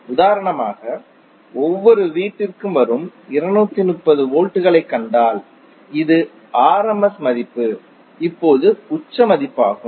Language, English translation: Tamil, Say for example if you see to 230 volts which is coming to every household this is rms value now to the peak value